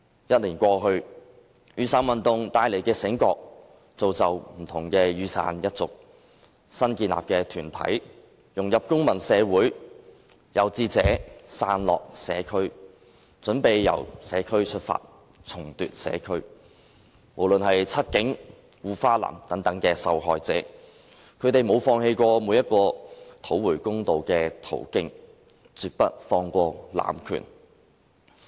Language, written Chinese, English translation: Cantonese, 一年過去，雨傘運動帶來的醒覺，造就不同的雨傘一族，新建立的團體融入公民社會；有志者'傘落'社區，準備由社區出發，重奪社區；不論是'七警'還是'護花男'等受害者，他們沒有放棄每個討回公道的途徑，絕不放過濫權。, After the passage of one year the awakening brought about by the Umbrella Movement has nurtured many umbrella people . New organizations have sprung up and integrated into civil society; some of these people have decided to start their work in the communities with the aim of re - taking them eventually . The victims in all cases―the cases of The Seven Cops The Girlfriend Protector and the like―have not given up any means and channels through which they can seek justice